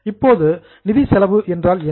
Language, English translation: Tamil, Now what do you mean by finance cost